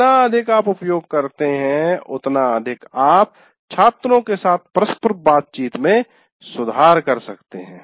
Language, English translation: Hindi, The more you can use, the more you can improve your interaction with the students